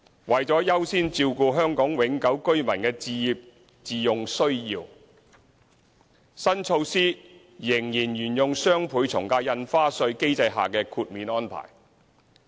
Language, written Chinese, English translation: Cantonese, 為了優先照顧香港永久性居民的置業自用需要，新措施仍沿用雙倍從價印花稅機制下的豁免安排。, To accord priority to meeting the home ownership needs of Hong Kong permanent residents HKPRs the new measure will continue to adopt the exemption arrangements under the existing DSD regime